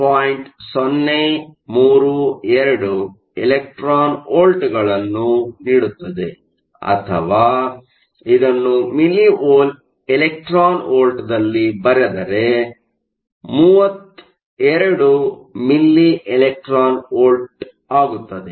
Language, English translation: Kannada, 032 electron volts or if you write this in milli electron volts that is 32 milli electron volts